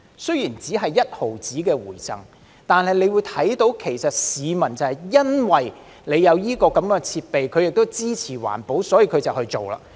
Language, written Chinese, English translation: Cantonese, 雖然只有1毫子回贈，但可以看到市民因有這樣的設備，而他們亦支持環保，所以便去做。, Although the rebate offered is only 0.1 it is noted that the public will do so when facilities are available to show their support for environmental protection